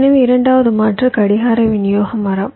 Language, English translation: Tamil, the second alternative is the clock distribution tree